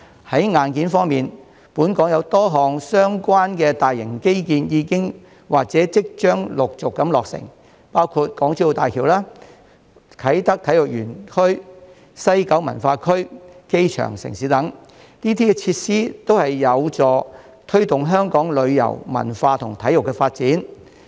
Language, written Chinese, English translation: Cantonese, 在硬件方面，本港有多項相關大型基建已經或即將陸續落成，包括港珠澳大橋、啟德體育園、西九文化區、機場城市等，這些設施均有助推動香港旅遊、文化及體育的發展。, Regarding hard infrastructure a number of relevant major infrastructure facilities have been constructed or will be commissioned one after another in Hong Kong including the Hong Kong - Zhuhai - Macao Bridge Kai Tak Sports Park West Kowloon Cultural District and Airport City . These facilities are conducive to promoting the development of tourism culture and sports in Hong Kong